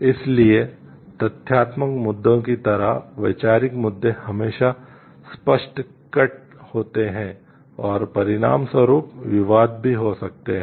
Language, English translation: Hindi, So, like factual issues conceptual issues are always clear cut and may resulting controversy as well